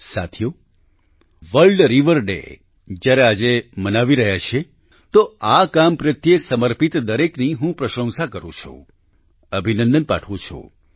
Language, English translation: Gujarati, when we are celebrating 'World River Day' today, I praise and greet all dedicated to this work